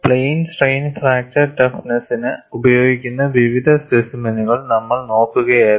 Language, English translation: Malayalam, We were looking at various specimens that are used for plane strain fracture toughness